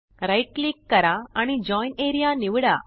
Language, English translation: Marathi, Right click and select Join area